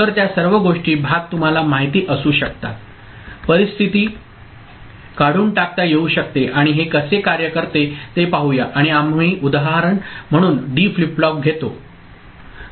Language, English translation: Marathi, So, all those things, parts can be you know, conditions can be eliminated, and let us see how it works and we take a D flip flop as an example ok